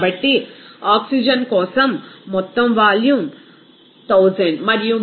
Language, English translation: Telugu, So, the total volume is 1000 and mole fraction is 0